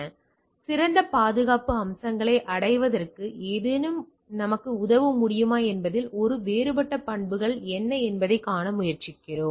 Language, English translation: Tamil, So, we try to see that the what are the different properties whether something can help us in achieving better security features